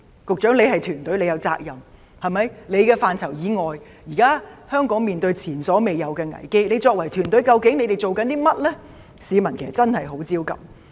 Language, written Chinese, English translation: Cantonese, 局長你是管治團隊的成員，你也有責任，現在香港面對前所未有的危機，你作為團隊的成員，究竟你們正在做甚麼呢？, Secretary you are a member of the ruling team and you have responsibility for it . Hong Kong now faces an unprecedented crisis . You are a member of the ruling team and what exactly are you doing now?